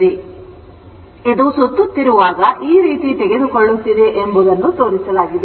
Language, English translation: Kannada, So, this is taking at when it is revolving in this way, this is shown